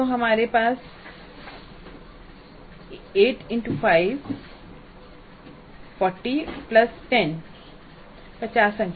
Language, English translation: Hindi, So we have 8 5 is 40 plus 10 50 marks